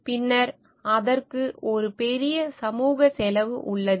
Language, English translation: Tamil, Then there is a great social cost to it